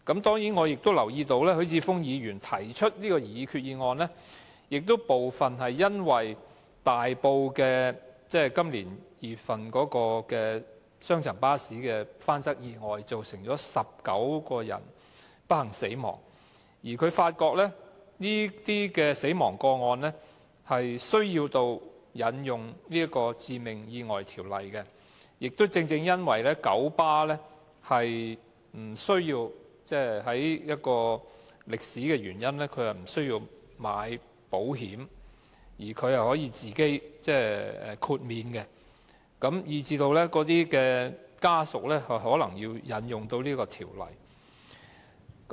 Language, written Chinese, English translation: Cantonese, 當然，我也留意到許智峯議員提出這項擬議決議案，部分是因為今年2月在大埔發生雙層巴士翻側意外，造成19人不幸身亡，他發現這些死亡個案需要引用《致命意外條例》，而且正正因為九巴的歷史原因，不用購買保險，並且得到豁免，以致死者家屬可能要引用該條例。, I of course also observe that Mr HUI Chi - fung has actually been prompted to put forward this resolution by the double - decker accident in Tai Po in February this year . This accident caused 19 deaths and he noticed that these cases necessitated the invocation of the Ordinance because for historical reasons the Kowloon Motor Bus Company 1933 Limited is exempt from taking out any insurance . The family members of the deceased may thus need to invoke the Ordinance